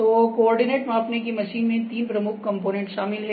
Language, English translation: Hindi, So, coordinate measuring machine include three major components